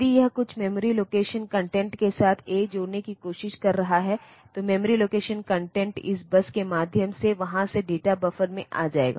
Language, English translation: Hindi, Or if it is trying to add a with some memory location content, then the memory location content will come to this data buffer through there through this bus